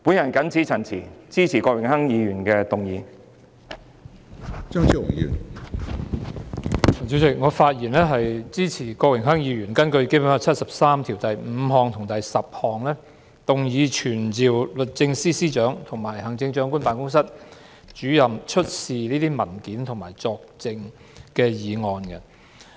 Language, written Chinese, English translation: Cantonese, 主席，我發言支持郭榮鏗議員根據《中華人民共和國香港特別行政區基本法》第七十三條第五及十項，傳召律政司司長及行政長官辦公室主任出示有關文件和作證。, President I speak in support of the motion moved by Mr Dennis KWOK under Article 735 and 10 of the Basic Law of the Hong Kong Special Administrative Region of the Peoples Republic of China to summon the Secretary for Justice and the Director of the Chief Executives Office to produce relevant documents and to testify